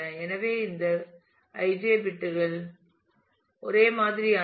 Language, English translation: Tamil, So, this i j bits are are identical